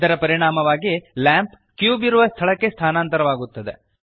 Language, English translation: Kannada, As a result, the lamp moves to the location of the cube